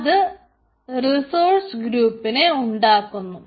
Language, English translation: Malayalam, so resource group is created